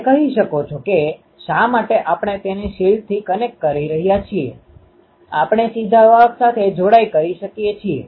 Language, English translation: Gujarati, You can say that why we are connecting it to the shield we can directly connect to the conductor